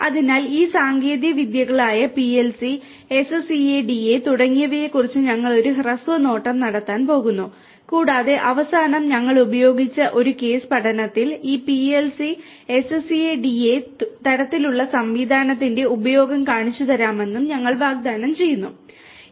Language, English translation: Malayalam, So, we are going to have a brief look at each of these technologies PLC, SCADA and so on and at the end, I promised you to show you the use of this PLC, SCADA kind of system in a case study that we have used for implementing a certain application with the help of this PLC, SCADA kind of system